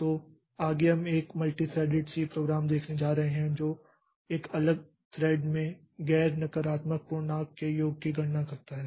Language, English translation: Hindi, So, next we are going to see a multi threaded C program that calculates a summation of non negative integer in a separate thread